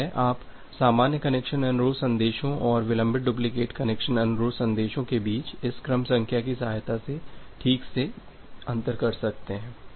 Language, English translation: Hindi, So, in that case our objective is to separate out a normal connection request from a delayed duplicate connection request and in that case we take the help of a sequence number